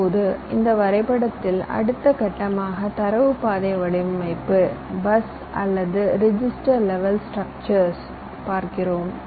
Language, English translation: Tamil, now in this diagram you see that your next step is your data path design where you come to the bus or the register levels, structures